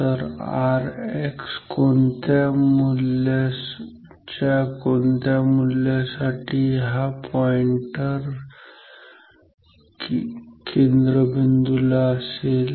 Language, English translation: Marathi, So, what will be the value of R X for which the pointer will be here at the center ok